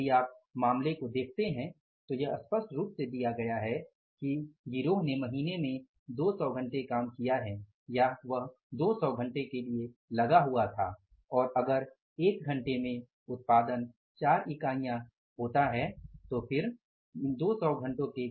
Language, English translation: Hindi, If you look at the case it is clearly given that the gang was engaged for 200 hours during the month and if there is a 4 units during 1 hour production during 1 hour is four units, it means the standard production was 800 units